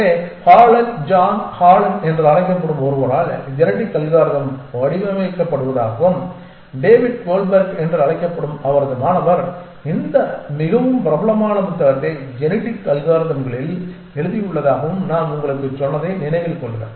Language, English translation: Tamil, So, remember I had told you that the genetic algorithms are device by somebody called Holland John Holland and his student called David Goldberg has written this very popular book on genetic algorithms